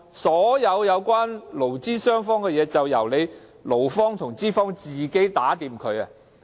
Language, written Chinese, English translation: Cantonese, 所有關乎勞資雙方的事宜難道就交由勞方和資方自行商妥？, Should all matters concerning employers and employees be left to the two sides to battle it out?